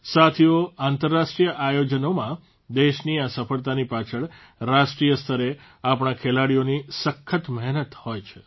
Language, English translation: Gujarati, Friends, behind this success of the country in international events, is the hard work of our sportspersons at the national level